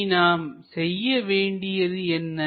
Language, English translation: Tamil, What we have to do is